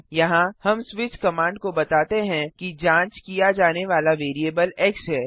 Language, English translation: Hindi, Here, we tell the switch command that the variable to be checked is x